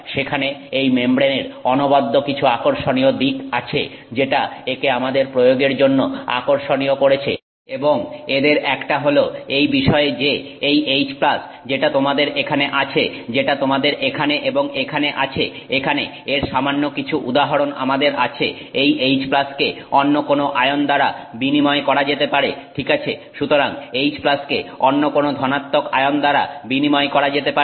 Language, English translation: Bengali, There are some other interesting aspects of this membrane which is what makes it interesting for our application and one of them is the fact that this H plus that you have here that you have here and you have here we just have a few examples of it here this H plus can be exchanged for some other ion